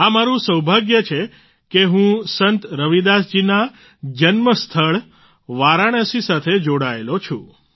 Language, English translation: Gujarati, It's my good fortune that I am connected with Varanasi, the birth place of Sant Ravidas ji